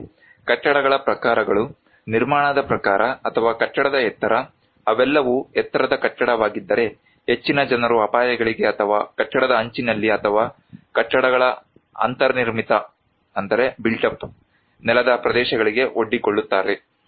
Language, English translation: Kannada, Also, the types of buildings; the type of constructions or building height, if they are all taller building more people are exposed to hazards or in a building edge or built up floor areas of the buildings